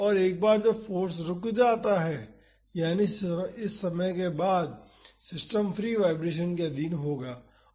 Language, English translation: Hindi, And, once the force stops that is after this time td the system will be under free vibrations